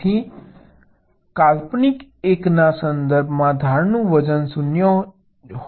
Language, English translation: Gujarati, so so with respect to the imaginary one, the edge weight can be zero